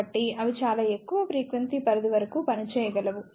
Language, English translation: Telugu, So, they can operate up to very high frequency range